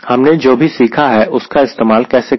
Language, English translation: Hindi, ok, how do i use whatever you have learnt